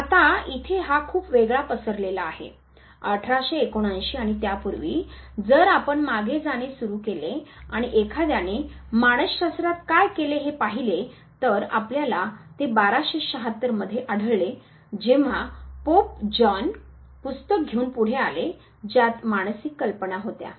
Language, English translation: Marathi, Now, there is a very discrete spread here, 1879 and before that if you start tracing back, did somebody do something in psychology, you find it 1276 when Pope John 21 he came forward with the book which had psychological ideas